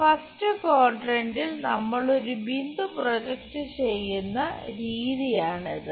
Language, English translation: Malayalam, This is the way we project a point in the first quadrant